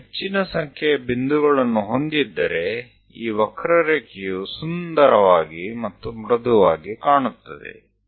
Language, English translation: Kannada, If we have more number of points, the curve looks nice and smooth